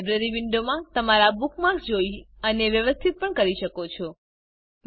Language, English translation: Gujarati, You can also view and arrange your bookmarks in the Library window